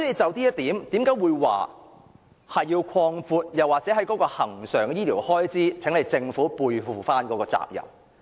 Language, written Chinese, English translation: Cantonese, 就這一點，我要求政府擴闊恆常醫療開支，背負其應該承擔的責任。, In this connection I urge the Government to increase its recurrent expenditure for medical and health services and shoulder the responsibility it should bear